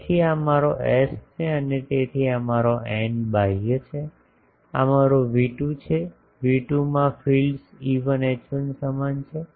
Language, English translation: Gujarati, So, this is my S and so this is my n outward, this is my V2, in V2 the fields are same E1 H1